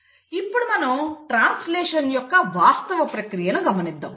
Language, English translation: Telugu, Now let us look at the actual process of translation